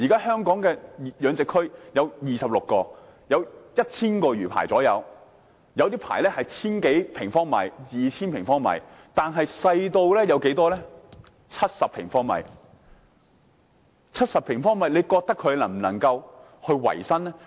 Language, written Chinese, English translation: Cantonese, 香港現時有26個養殖區，約有 1,000 個魚排，有些魚排的面積達千多二千平方米，亦有些細小至只有70平方米，大家認為70平方米的魚排能否維生？, At present there are 26 mariculture zones in Hong Kong with around 1 000 mariculture rafts . Some of the mariculture rafts have an area of 1 000 to 2 000 sq m while some small ones may only have 70 sq m Do Members think that those mariculturists with rafts of 70 sq m can make a living?